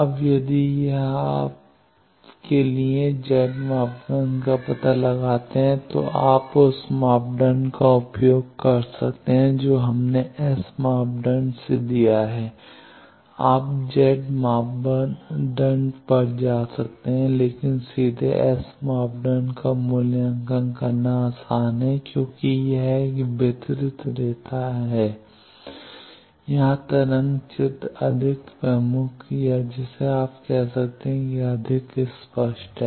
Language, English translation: Hindi, Now, if it was as to you find out the Z parameter of that, then you can use that formula we have given from S parameter you can go to Z parameter, but directly evaluating S parameter is easier, because this is a distributed line here wave picture is more prominent or more explicit you can say